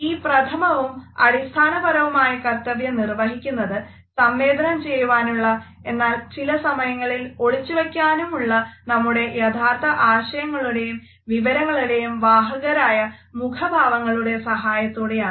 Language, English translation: Malayalam, And this primary and fundamental function is performed with the help of our facial expressions which are considered to be potent signals of our true ideas and information which we often want to pass on and sometimes, we want to hide from others